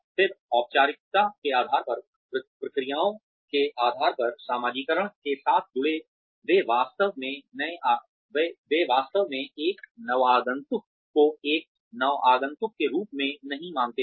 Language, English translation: Hindi, Again, depending on the formality, depending on the procedures, associated with the socialization, they do not really consider a newcomer, as a newcomer